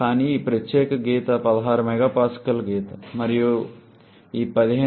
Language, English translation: Telugu, But this particular line is the 16 MPa line and this line is that 15